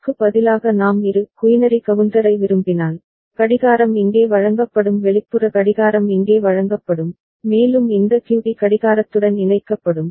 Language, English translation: Tamil, And instead if we want Bi quinary counter, then the clock will be fed here the external clock will be fed here and this QD will be connected to clock A